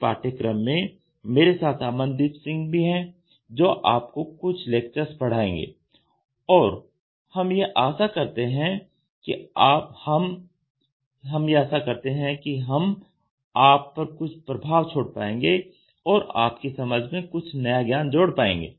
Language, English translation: Hindi, So, along with me in this course I have Amandeep Singh, who will share the lectures with me and we hope that we try to make an impact and add a new knowledge to your understanding